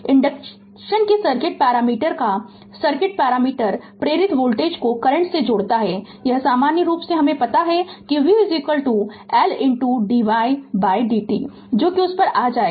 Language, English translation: Hindi, The circuit parameter of the circuit parameter of inductance your relates the induced voltage to the current, this you know in general you know v is equal to L into dy by dt will come to that right